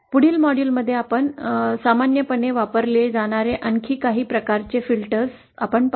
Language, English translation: Marathi, So in the next module, we will see some further implementations further types of filters that are used commonly